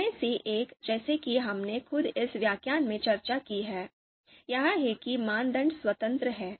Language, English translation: Hindi, One of them as we have discussed in this lecture itself is that the criteria, you know they are you know independent